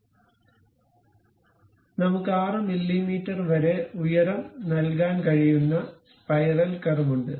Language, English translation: Malayalam, So, we have the spiral curve where we can really give height up to 6 mm